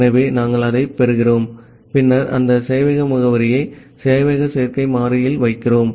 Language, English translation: Tamil, So, we are getting that and then we are putting that server address in this serverAddr variable